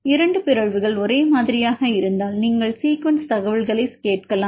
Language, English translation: Tamil, If the 2 mutantions are same then you can ask sequence information